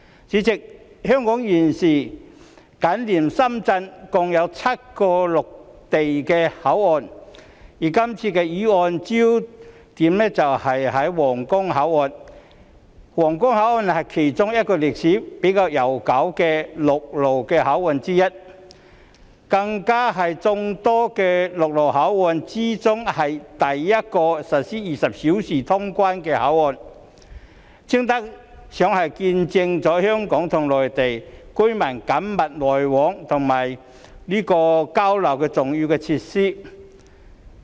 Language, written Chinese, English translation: Cantonese, 主席，香港現時緊連深圳共有7個陸路口岸，而這項議案聚焦的皇崗口岸是其中一個歷史較悠久的陸路口岸，更是眾多陸路口岸中首個實施24小時通關的口岸，堪稱是見證香港與內地民眾緊密來往和交流的重要設施。, President Hong Kong has seven land crossings that adjoin Shenzhen at present . The focus of this motion Huanggang Port is a land crossing with a relatively long history and it is even the first of all the various land crossings that provides 24 - hour customs clearance services . It is honestly an important facility that has witnessed the close contact and exchanges between people of Hong Kong and the Mainland